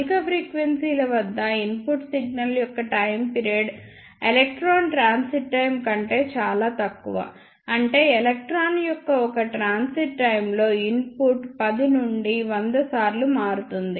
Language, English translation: Telugu, But for higher frequencies, the time period of the input signal is very very less than the electron transit time that means, the input changes 10 to 100 times in one transit time of an electron